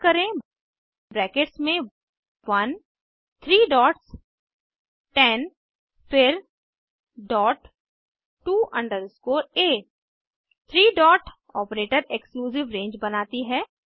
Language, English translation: Hindi, Type Within brackets 1 three dots 10 then dot to underscore a Three dot operator creates an exclusive range